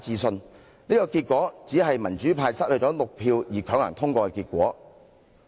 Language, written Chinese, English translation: Cantonese, 上述表決結果，只是民主派失去6票而強行通過的結果。, The said voting result was only secured by forcing through the motion after the pro - democracy camp had lost six votes